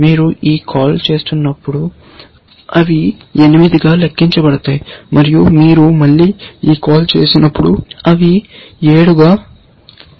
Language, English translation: Telugu, When you make this call, they count as 8; when you make this call, they count as 7 and so on